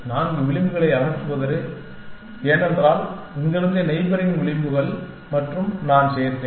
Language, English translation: Tamil, Remove the four edges because, the neighboring edges from here and I added for